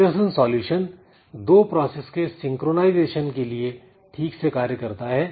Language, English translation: Hindi, So, this Peterson solution it works well for this situations like two process synchronization it works well